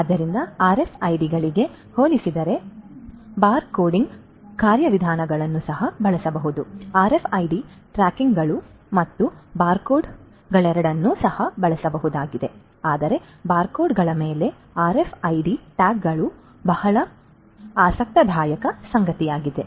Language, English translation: Kannada, So, compared to RFIDs bar coding mechanisms could also be used both RFID tags and barcodes they could also be used but RFID tags over barcodes is something that is very interesting